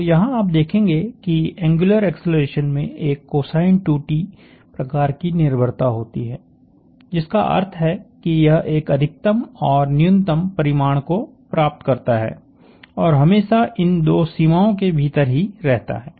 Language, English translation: Hindi, So, as you will see the angular acceleration has a cosine of 2t kind of a dependence which implies that it takes on a maximum and a minimum value and remains inside those 2 bounds for all times